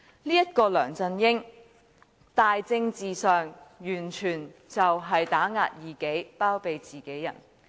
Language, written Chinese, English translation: Cantonese, 這個梁振英在政治上完全打壓異己，包庇自己人。, LEUNG Chun - ying is absolutely politically inclined to oppressing his opponents and condoning his confidants